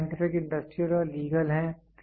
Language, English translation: Hindi, They are scientific, industrial, and legal